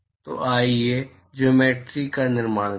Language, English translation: Hindi, So, let us construct the geometry